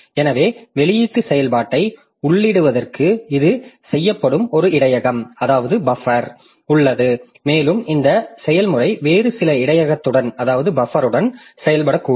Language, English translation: Tamil, So, for input output operation, so there is a buffer where this is done and the process may be working with some other another buffer